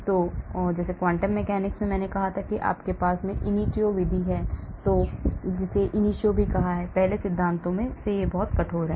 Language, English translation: Hindi, so in the quantum mechanics like I said we have the ab initio method which is very rigorous from first principles